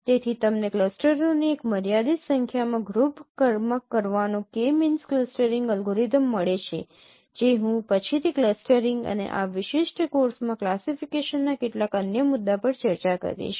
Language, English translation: Gujarati, So group them into a finite number of clusters like using K means clustering algorithm which I will discuss in later on in some other topic of clustering and classifications in this particular course